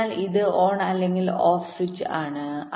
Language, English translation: Malayalam, so it is either a on, ah on, or a off switch